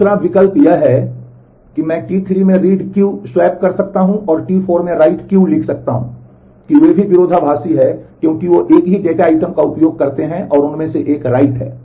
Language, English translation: Hindi, The other option is I could swap read Q in T 3 and write Q in T 4, that they are also conflicting because they access the same data item and one of them is write